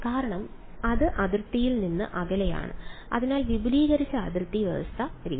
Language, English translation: Malayalam, Because it is away from the boundary so extended boundary condition method